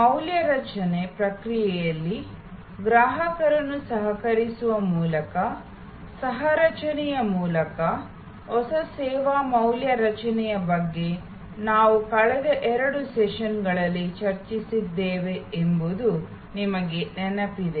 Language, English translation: Kannada, You recall, in the last couple of sessions we were discussing about new service value creation through co creation by co opting the customer in the value creation process